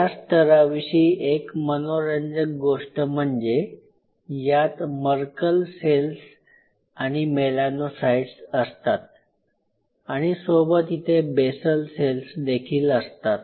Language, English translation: Marathi, The interesting part is this layer this layer contains some apart from other cells like mortal cells and melanocytes this layer contains something called basal cells